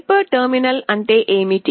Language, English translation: Telugu, What is a hyper terminal